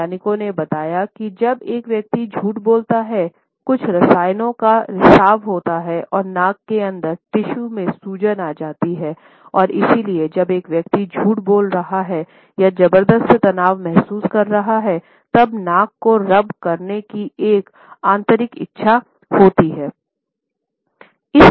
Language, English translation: Hindi, Scientists have found out that when a person lies, certain chemicals are released and they cause the tissues inside the nose to swell and therefore, when a person is lying or when a person is feeling tremendous stress, there is an inner urge to rub the nose